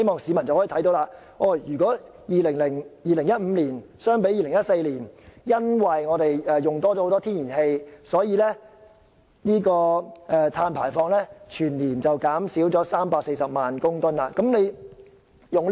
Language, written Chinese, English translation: Cantonese, 市民應該留意到，由2014年至2015年間，由於我們耗用較多天然氣，全年碳排放量因而減少340萬公噸。, As the public should have been aware between 2014 and 2015 the use of more natural gas had resulted in a reduction of 3.4 million tonnes of carbon emissions for the whole year